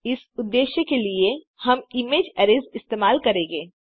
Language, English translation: Hindi, For this purpose, we will be using image arrays